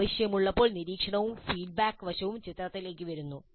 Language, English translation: Malayalam, As when necessary, the monitoring and feedback aspect comes into the picture